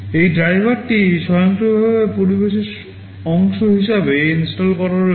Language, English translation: Bengali, This driver is automatically installed as part of the environment